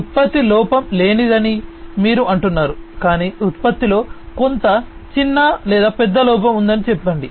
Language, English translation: Telugu, You say that the product is defect free, but let us say that there is some small or big defect that exists in the product